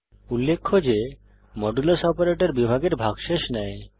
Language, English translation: Bengali, Please note that Modulus operator finds the remainder of division